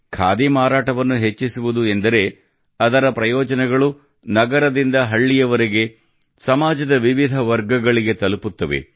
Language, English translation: Kannada, The rise in the sale of Khadi means its benefit reaches myriad sections across cities and villages